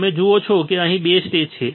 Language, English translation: Gujarati, You see that there are two stages here;